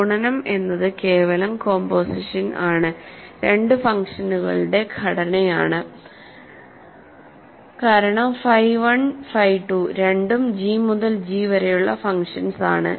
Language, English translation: Malayalam, Multiplication is simply composition, composition of two functions because phi 1 phi 2 are both functions from G to G right